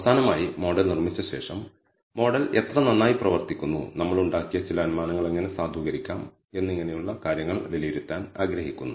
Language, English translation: Malayalam, Finally, after building the model we would like to assess how well the model performs, how to validate some of the assumptions we have made and so on